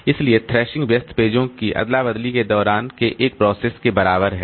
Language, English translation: Hindi, So, thrashing is equivalent to a process doing busy swapping of pages in and out